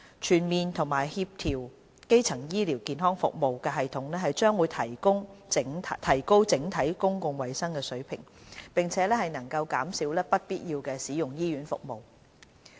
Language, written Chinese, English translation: Cantonese, 全面和協調的基層醫療服務系統將提高整體公共衞生水平，並且能減少不必要地使用醫院服務。, A comprehensive and coordinated primary health care system will enhance overall public health and reduce avoidable use of hospital services